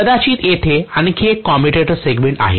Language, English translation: Marathi, Maybe there is one more commutator segment here